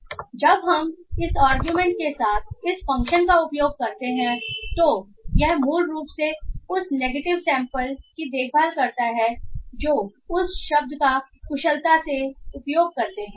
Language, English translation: Hindi, So when we use this function with this argument negative it basically takes care of the negative sampling that word to wet efficiently uses